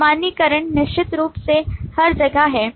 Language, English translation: Hindi, Generalization is certainly everywhere